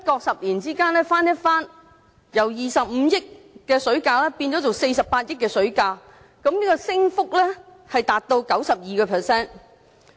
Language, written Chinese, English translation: Cantonese, 十年之間翻一番，水價不經不覺就由25億元變為48億元，升幅高達 92%。, Unknowingly the price of water has almost doubled in a decade from 2.5 billion to 4.8 billion . The rate of increase is as high as 92 %